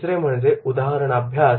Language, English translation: Marathi, Third one is case study